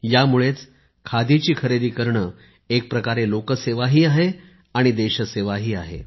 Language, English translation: Marathi, That is why, in a way, buying Khadi is service to people, service to the country